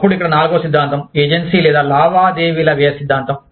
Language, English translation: Telugu, Then, the fourth theory here is, the agency or transaction cost theory